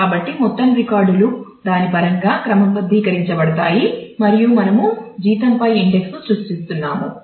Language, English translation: Telugu, So, the whole recall records are sorted in terms of that and we are creating an index on the salary